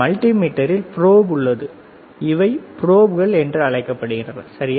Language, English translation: Tamil, We see another multimeter, again in multimeter there are probes these are called probes right